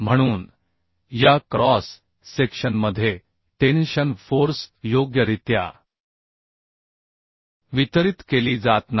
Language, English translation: Marathi, So therefore tension force are not distributed throughout its cross section properly